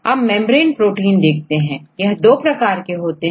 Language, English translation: Hindi, Then look into membrane proteins, they are of two types